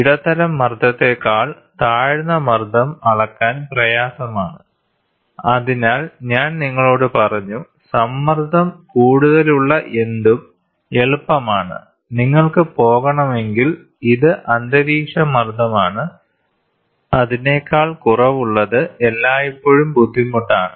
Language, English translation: Malayalam, Low pressure are more difficult to measure than medium pressure; so, I told you anything which is higher in pressure it is easy, if you want to go this is atmospheric pressure, anything lower than that is always a difficult